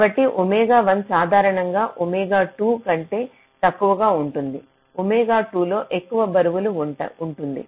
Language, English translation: Telugu, so omega one is usually less than omega two